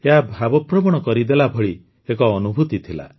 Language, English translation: Odia, It was an emotional experience